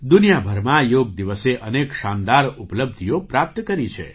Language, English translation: Gujarati, Yoga Day has attained many great achievements all over the world